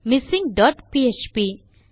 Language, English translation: Tamil, missing dot php